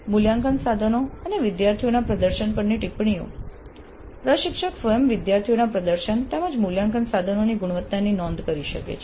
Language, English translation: Gujarati, Comments on assessment instruments and student performance, the instructor herself can note down the performance of the students as well as the quality of the assessment instruments